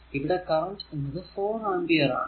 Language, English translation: Malayalam, So, this is your 4 ampere